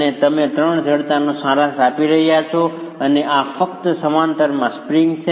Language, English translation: Gujarati, And you are summing up the three stiffnesses and this is simply springs in parallel